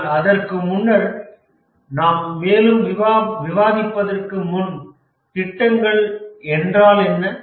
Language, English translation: Tamil, But before that, we like to discuss, before proceeding further, we like to discuss what are projects